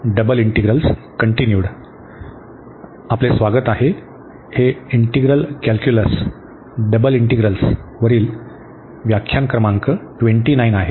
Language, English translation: Marathi, So, welcome back this is lecture number 29 on integral calculus Double Integrals